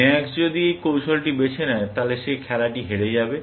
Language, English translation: Bengali, If max chooses this strategy, he will end up losing the game